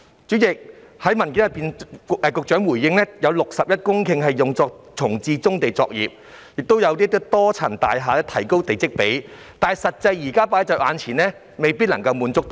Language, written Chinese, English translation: Cantonese, 主席，局長在主體答覆中表示有61公頃土地用作重置棕地作業，而發展多層樓宇的用地的地積比率亦頗高，但眼前的現況是無法滿足需求。, President the Secretarys main reply states that 61 hectares of land will be used for reprovisioning brownfield operations and the plot ratio of sites for developing multi - storey buildings will likewise be quite high . But the reality before our very eyes is a failure to meet the demand